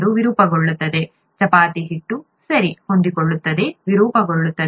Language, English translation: Kannada, The ball distorts, the chapati dough, okay, flexible, distorts